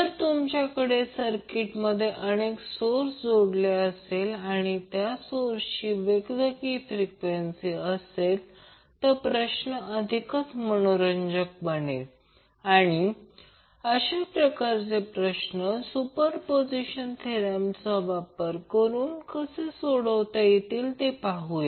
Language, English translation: Marathi, So, if you have multiple sources connected in the circuit and those sources are having a different frequencies, then the problem will also become interesting and we will see how we will solve those kind of problems with the help of superposition theorem